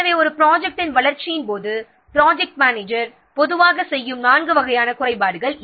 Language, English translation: Tamil, So, these are the what four types of shortfalls that project manager normally concerned with during development of a project